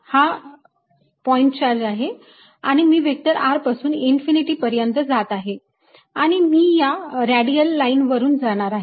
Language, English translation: Marathi, so now let me make a picture this is my point charge and i am going from a distance vector r all the way upto infinity and i'll go along this radial line